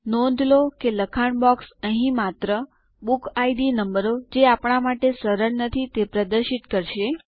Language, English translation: Gujarati, Notice that the text box here will only display BookId numbers which are not friendly on our eyes